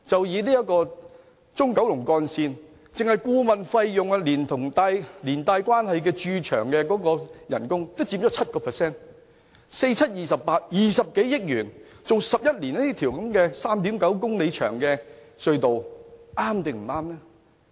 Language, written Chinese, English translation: Cantonese, 以中九龍幹線為例，單是顧問費用連同連帶的駐場工資也佔 7%，4 乘7等於 28，20 多億元，花11年興建 3.9 公里長的隧道究竟是否正確？, For example in the Central Kowloon Route project the bill for the consultancy services together with associated resident site staff remuneration accounts for 7 % of the total construction cost . So 4 multiplied by 7 is equal to 28 . In other words the consultancy services cost us over 2 billion